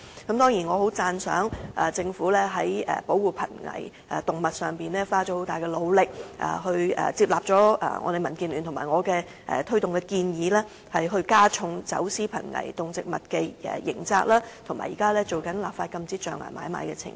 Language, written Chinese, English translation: Cantonese, 不過，我十分讚賞政府在保護瀕危動物方面花了很大努力，接納了民建聯和我推動的建議，加重走私瀕危動植物的刑責，以及現正進行立法禁止象牙買賣的程序。, Nevertheless I have to sing great praises of the Government as it has made strenuous efforts to protect endangered species and taken on board the proposal advocated by DAB and me for raising the criminal liabilities for trafficking in endangered animals and plants while conducting the legislative procedures for prohibiting ivory trade at present